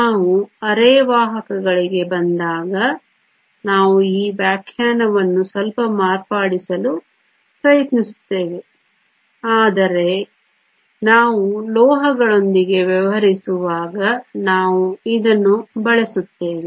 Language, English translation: Kannada, When we come to semiconductors we will try to modify this definition a little, but as far as we dealing with metals we will use this